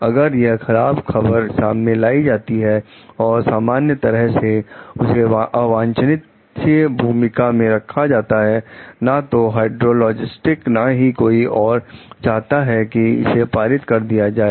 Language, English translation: Hindi, If bringing this bad news simply puts her in an unwelcome role, neither the hydrologist nor anyone else will want to pass it on